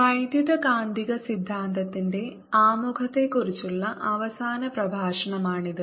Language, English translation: Malayalam, this is the final lecture on this introduction to electromagnetic theory course